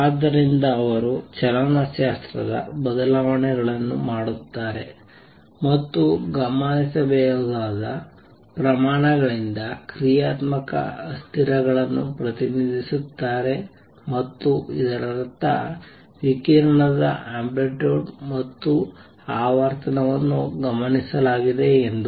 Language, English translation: Kannada, So, he has now shown that make kinematic changes and representing dynamical variables by observable quantities and that means, the amplitude and frequency of radiation observed